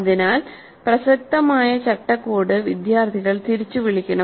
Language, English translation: Malayalam, So the relevant framework must be recalled by the students